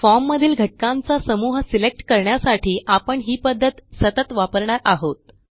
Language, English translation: Marathi, We will use this way repeatedly, to select groups of form elements